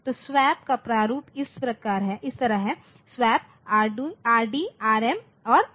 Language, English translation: Hindi, So, the format is like this is the swap read swap then read Rd, Rm and Rn